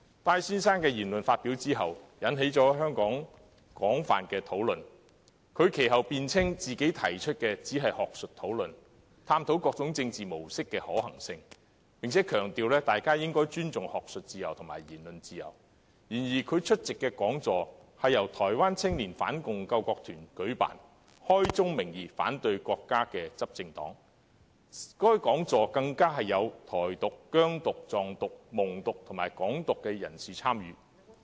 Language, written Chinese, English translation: Cantonese, 戴先生的言論引起了香港廣泛討論，雖然他其後辯稱他只是提出學術討論，探討各種政治模式的可行性，並強調大家應尊重學術自由和言論自由，但他出席的講座由台灣青年反共救國團舉辦，該團體也是開宗明義反對國家的執政黨，而在講座中更有"台獨"、"疆獨"、"藏獨"、"蒙獨"及"港獨"人士參與。, Mr TAIs remarks have aroused extensive discussions in Hong Kong . Although he later contended that he was merely proposing an academic discussion to explore the feasibility of various modes of politics and emphasized that academic freedom and freedom of speech should be respected the seminar attended by him was organized by the Taiwan Youth Anti - Communist National Salvation Corps which made it clear at the outset that it opposed the countrys ruling party . What is more the seminar was attended by advocates of Taiwan independence Xinjiang independence Tibetan independence Mongolian independence and Hong Kong independence